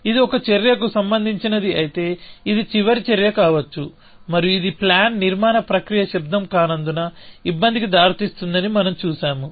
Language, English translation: Telugu, It says if an action is relevant, it could be the last action, and we saw that this leads to the trouble that the plan construction process is not sound